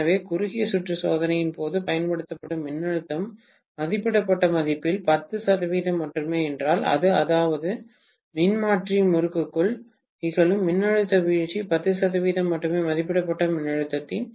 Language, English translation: Tamil, So, if the voltage applied during short circuit test is only 10 percent of the rated value, that means the voltage drop that is taking place within the transformer winding is only 10 percent of the rated voltage